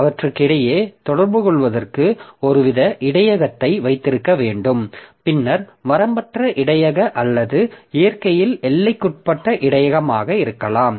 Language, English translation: Tamil, So we have to have some sort of buffer for communicating between them and then the buffer may be unbounded buffer or bounded buffer in nature